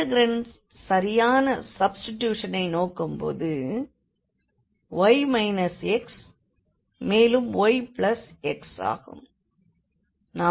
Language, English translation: Tamil, So, the suitable substitution looking at the integrand seems to be y minus x and this y plus x